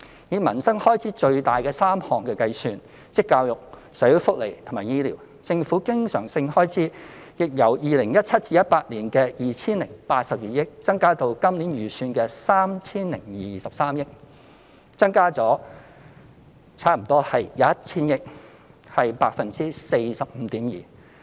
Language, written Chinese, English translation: Cantonese, 以民生開支最大3個項目，亦即教育、社會福利及醫療開支計算，政府經常性開支亦由 2017-2018 年度的 2,082 億元，增加至本年度預算的 3,023 億元，增加了差不多 1,000 億元，亦即 45.2%。, With regard to the three major areas of livelihood - related spending namely education social welfare and healthcare the government recurrent expenditure has also increased from 208.2 billion in 2017 - 2018 to an estimated provision of 302.3 billion for the current year representing an increase of nearly 100 billion ie . 45.2 %